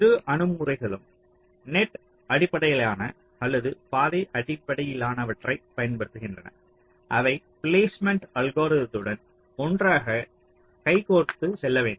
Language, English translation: Tamil, so both the approaches either you use the net based or path based they has to go hand in hand with the placement algorithm